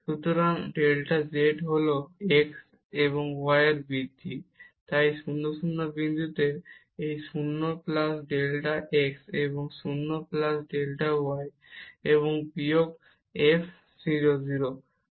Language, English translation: Bengali, So, the delta z is this increment in x and y so, at point 0 0; so 0 plus delta x and 0 plus delta y and minus the f 0 0